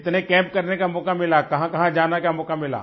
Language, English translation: Hindi, How many camps you have had a chance to attend